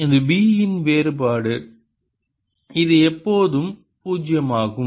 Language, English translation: Tamil, it is divergence of b, which is always zero